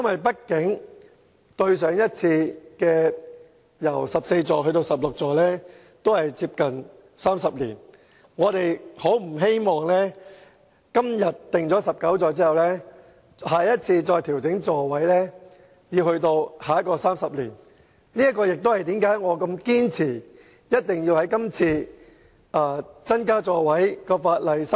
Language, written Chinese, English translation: Cantonese, 畢竟小巴座位由14個增至16個至今已接近30年，我們不希望今天決定把小巴座位增至19個後，要再等30年後才再次調整座位數目。, After all it has been nearly 30 years since the seating capacity of light buses was increased from 14 to 16 . We do not want to wait another 30 years for another adjustment of the seating capacity after the current increase